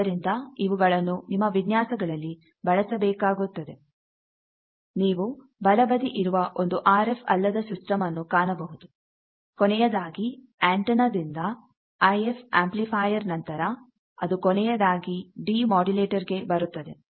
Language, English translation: Kannada, So, that you will have to be apply into your design whereas, if you see the right side thing that typically in a non RF system like from this antenna finally, this after this IF amplifier it comes to finally, a demodulator sort of thing